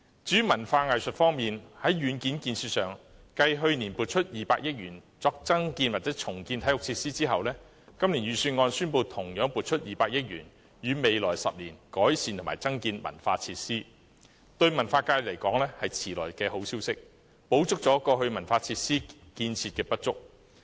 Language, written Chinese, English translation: Cantonese, 至於文化藝術方面，在硬件建設上，繼去年撥出200億元作增建或重建體育設施後，今年預算案宣布同樣撥出200億元予未來10年改善和增建文化設施，對文化界而言是遲來的好消息，補足了過去文化設施建設的不足。, As regards the hardware facilities for arts and culture following the allocation of 20 billion for developing new sports facilities or redeveloping the existing ones last year this year 20 billion will be similarly set aside for the improvement and development of cultural facilities . To the cultural sector it is a piece of belated good news which can make up for the lack of cultural facilities in the past